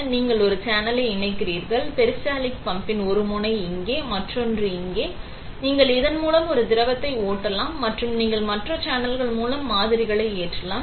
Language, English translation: Tamil, So, you connect one channel, one end of the peristaltic pump here, other end here; and you can flow a liquid through this and you can load samples through other channels